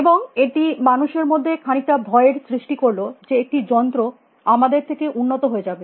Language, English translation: Bengali, And this kind of a generated, a kind of a fear amongst a people that is machines will become smarter than us